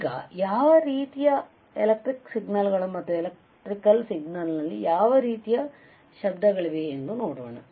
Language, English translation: Kannada, Let us now see what are the kind of electrical signals, what are the kind of noise present in the electrical signal